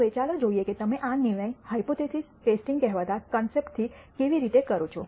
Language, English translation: Gujarati, Now, let us look at how do you perform these decision making using what is called hypothesis testing